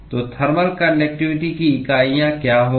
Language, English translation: Hindi, So, what will be the units of thermal conductivity